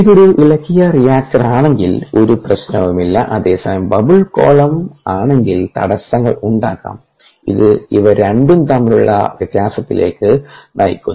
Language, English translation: Malayalam, if it is stirred reactor there is absolutely no problem, whereas in the bubble column the seems to be ah interference which lead to a difference between these two